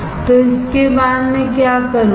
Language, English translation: Hindi, So, after this what I will do